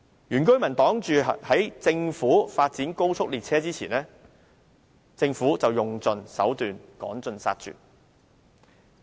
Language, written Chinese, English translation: Cantonese, 原居民擋在政府發展的高速列車之前，政府卻用盡手段，趕盡殺絕。, In the case of indigenous inhabitants blocking the way of the Governments high speed train of development however the Government will try every possible means to drive them out